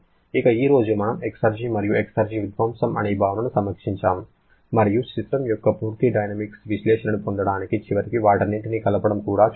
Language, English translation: Telugu, Today, we reviewed the concept of exergy and exergy destruction and finally combined all of them to get a complete thermodynamic analysis of a system